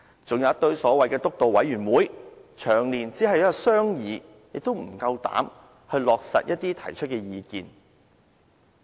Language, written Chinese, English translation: Cantonese, 還有一堆所謂的"督導委員會"，長年只有商議，卻無膽去落實一些提出的意見。, There are also a host of so - called steering committees . They conduct discussions year after year but dare not implement any proposals they put forward